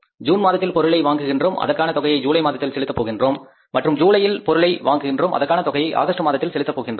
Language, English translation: Tamil, June we acquired the material, we are going to pay for that in the month of July and July we acquired the material we are going to pay for that in the month of August